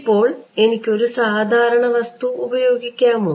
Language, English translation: Malayalam, Now can I put an ordinary material